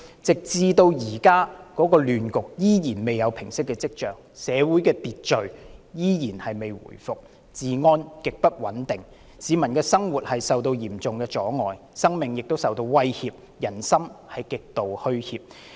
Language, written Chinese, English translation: Cantonese, 這個亂局至今尚未見平息跡象，社會秩序依然未回復，治安極不穩定，市民的生活受到嚴重阻礙，生命亦受到威脅，人心極度虛怯。, The chaotic situation has not shown signs of subsiding so far . Public order has yet to be restored and public security is extremely unstable . Peoples living is severely disrupted and their lives are threatened putting them in extreme panic